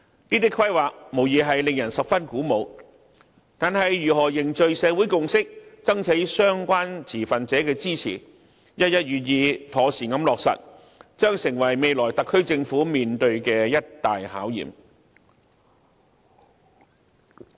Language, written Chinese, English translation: Cantonese, 這些規劃無疑令人十分鼓舞，但如何凝聚社會共識，爭取相關持份者的支持，一一予以妥善落實，將成為未來特區政府所要面對的一大考驗。, These initiatives are undoubtedly very encouraging but the SAR Government will be faced with great challenges in building social consensus soliciting support from all relevant stakeholders and properly implementing each of these measures